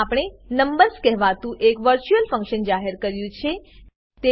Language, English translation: Gujarati, In this we have declared a virtual function named numbers